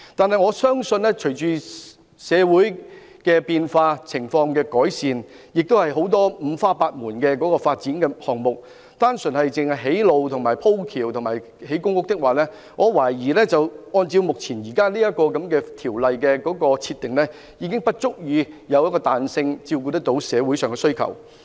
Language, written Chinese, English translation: Cantonese, 可是，我相信隨着社會情況變化和改善，以及五花八門的發展項目推出，如果單純用作興建道路、天橋和公屋，我懷疑《條例》目前的規定，並沒有足夠彈性照顧社會上的需求。, Yet I believe that with changes and improvement in society as well as the introduction of a bewildering array of development projects the existing requirements under the Ordinance stipulating that resumed land can only be used for the construction of roads bridges and public housing lack the flexibility to address the needs in society